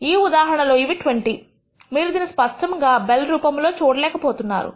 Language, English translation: Telugu, In this case because it is 20, you are not able to clearly see its bell shaped